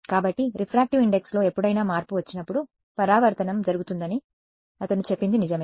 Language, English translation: Telugu, So, he is right that reflection will happen anytime there is a change in refractive index right